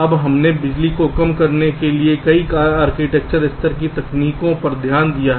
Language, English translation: Hindi, now, ah, we have looked a at a number of architecture level techniques for reducing power